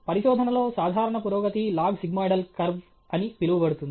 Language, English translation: Telugu, Typical progress in research follows what is called a log sigmoidal curve okay